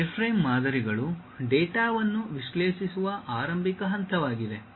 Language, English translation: Kannada, These wireframe models are the beginning step to analyze the data